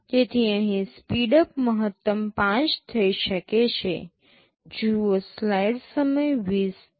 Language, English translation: Gujarati, So, here the speedup can be maximum 5